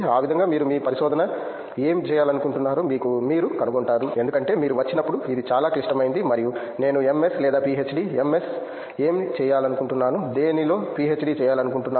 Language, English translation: Telugu, That will, that way you will figure out what you want to do your research in because that’s really critical when you come and don’t just say I want to do MS or a PhD, MS in what, PhD in what